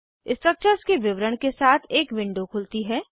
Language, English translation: Hindi, A window opens with all the details of the structure